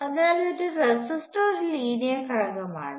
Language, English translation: Malayalam, So, a resistor is very much a linear element